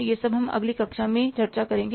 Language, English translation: Hindi, This is all we will discuss in the next class